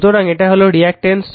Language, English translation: Bengali, So, it is reactance